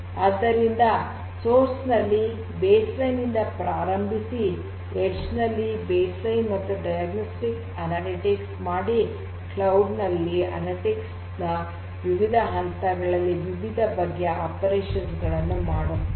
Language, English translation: Kannada, So, starting from baseline analytics at the source to a combination of baseline and diagnostic at the edge to the diagnostic and prognostic analytics at the cloud we have these different phases of operations of analytics